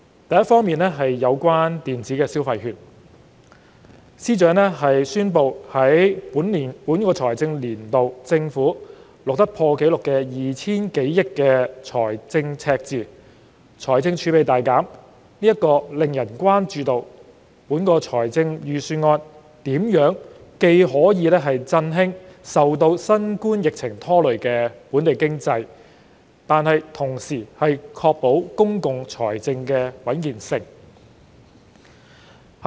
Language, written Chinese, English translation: Cantonese, 第一，有關電子消費券，司長宣布政府在本財政年度錄得破紀錄的 2,000 多億元財政赤字，財政儲備大減，令人關注預算案如何既可振興受新冠疫情拖累的本地經濟，同時確保公共財政穩健。, First regarding the electronic consumption vouchers FS announced that the Government has recorded a record high fiscal deficit of more than 200 billion this financial year with a considerable reduction in its fiscal reserves which has aroused concern over how the Budget can revive the pandemic - stricken economy while ensuring the health of public finances